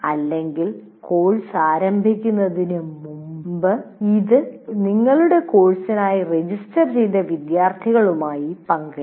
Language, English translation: Malayalam, So or even on before the course also starts, this can be shared with the students who are registered for your course